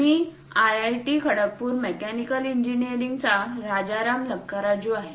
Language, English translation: Marathi, I am Rajaram Lakkaraju from Mechanical Engineering IIT Kharagpur